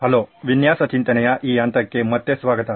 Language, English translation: Kannada, Hello and welcome back to this phase of design thinking